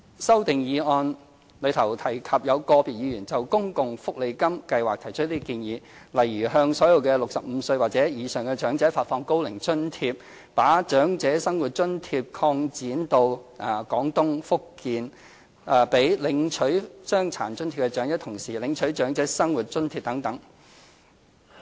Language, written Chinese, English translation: Cantonese, 修正案中提及有個別議員就公共福利金計劃提出建議，例如向所有65歲或以上的長者發放高齡津貼、把長者生活津貼擴展至廣東省和福建省、讓領取傷殘津貼的長者同時領取長者生活津貼等。, The amendments have mentioned Members various suggestions as to the SSA Scheme such as providing OAA for all elderly people aged 65 or above expanding the coverage of OALA to Guangdong and Fujian and allowing elderly recipients of the Disability Allowance to receive OALA at the same time and so on